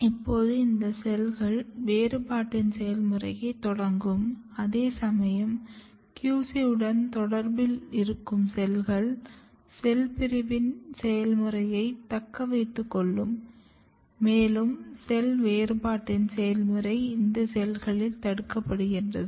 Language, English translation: Tamil, Now, these cells will start the process of differentiation, whereas the lower cell which still remains in contact with the QC, it will retain the process of cell division and process of cell differentiation is inhibited in these cells